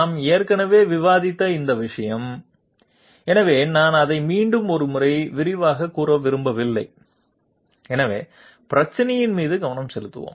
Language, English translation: Tamil, This thing we have already discussed, so I do not want to elaborate on it once more, so let us concentrate upon the problem